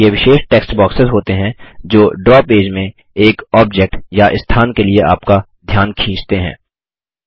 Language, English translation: Hindi, They are special text boxes that call your attention to or point to an object or a location in the Draw page